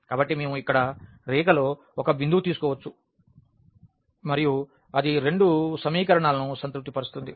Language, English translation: Telugu, So, we can take a point here on the line and that will satisfy both the equations